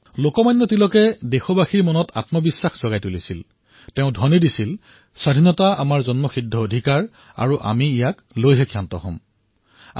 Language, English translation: Assamese, Lokmanya Tilak evoked self confidence amongst our countrymen and gave the slogan "Swaraj is our birth right and I shall have it